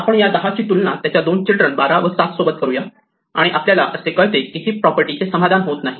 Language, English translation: Marathi, We compare 10 with itÕs 2 children, 12 and 7 and find that it is not satisfying heap property